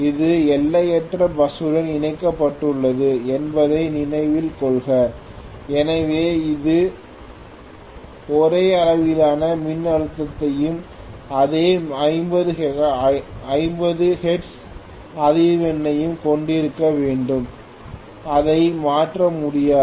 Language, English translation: Tamil, Please note this is connected to infinite bus so it has to have the same magnitude of voltage and same 50 hertz frequency, it cannot change